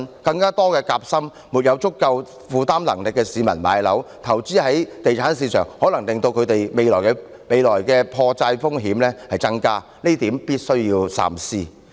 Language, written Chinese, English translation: Cantonese, 讓更多夾心階層、沒有足夠負擔能力的市民置業，投資在地產市場，亦可能令他們未來的破產風險增加，這點必須三思。, This proposal for allowing more people of the sandwich class and those who do not have sufficient financial means for home acquisition to invest in the property market will also increase their risk of bankruptcy in the future . We must think twice about this